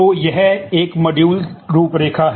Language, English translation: Hindi, So, this is a module out line